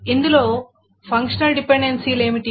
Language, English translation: Telugu, These are the functional dependencies